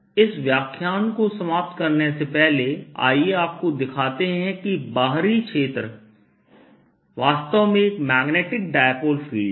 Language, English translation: Hindi, let me, before i finish this lecture, show you that outside field is really a magnetic dipole field